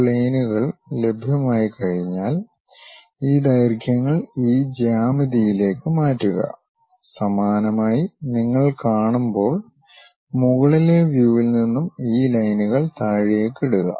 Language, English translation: Malayalam, Once this planes are available, transfer these lengths onto this geometry, similarly from the top view when you are looking at it drop these lines